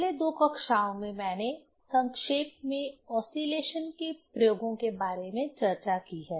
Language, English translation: Hindi, In last two classes I have briefly discussed about the experiments on oscillation